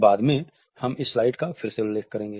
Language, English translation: Hindi, Later on, we would refer to this slide again